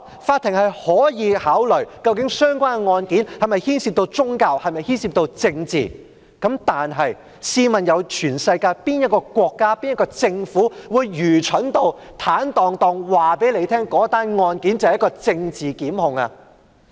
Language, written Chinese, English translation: Cantonese, 法庭可以考慮相關案件是否牽涉宗教或政治，但試問全世界又有哪個國家或政府會愚蠢至坦蕩蕩告訴你，那宗案件是一宗政治檢控呢？, The court will consider whether the case involves religion or political views but will any country or government be so stupid as to frankly state that the prosecution is politically motivated?